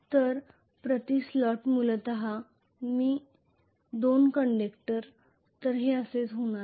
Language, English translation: Marathi, So essentially 2 conductors per slot, this is how it is going to be,ok